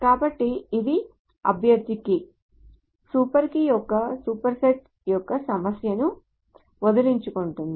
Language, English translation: Telugu, So this is the candidate key essentially gets read of the problem of this super setting of super key